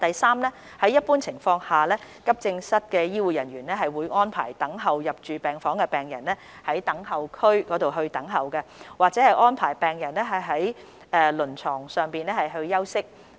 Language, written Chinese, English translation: Cantonese, 三在一般情況下，急症室醫護人員會安排等候入住病房的病人在等候區等候，或安排病人在輪床上休息。, 3 In general healthcare staff of AE departments will arrange patients awaiting hospital admission to wait in the designated waiting area or on stretchers